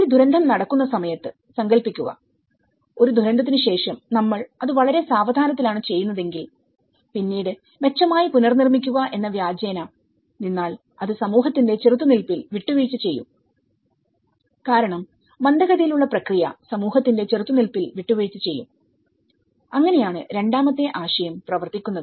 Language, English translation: Malayalam, Imagine, if we on the pretext of build back better, if we do it very slowly after a disaster, then on the pretext of build back better then, it will also compromise the community resilience because the slow process also will compromise the community resilience, so that is where the second concept is working